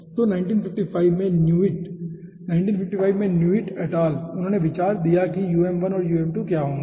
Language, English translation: Hindi, so newitt in 1955, newitt et al in 1955, they have given the idea what will be the um1 and um2